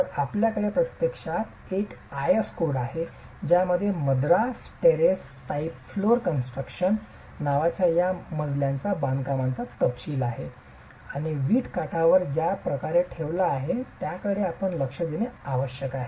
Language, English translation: Marathi, So, you have actually an IS code that details the construction of these floors called Madras Terrace type floor construction and you must pay attention to the way the brick is laid on edge and the way it is constructed, it's a unique process in which this floor is constructed